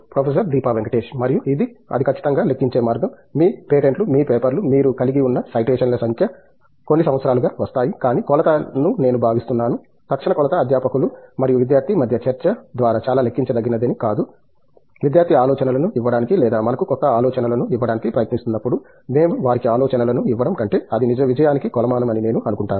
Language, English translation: Telugu, And, way to quantify that is of course, your patents, your papers, the number of citations you have had, citation of course, something that comes up over years, but the measure I think the immediate measure which is probably not very quantifiable is coming through discussion between a faculty and a student is when the student is trying to think of or giving us new ideas rather than we giving them the ideas, I think that’s the measure of success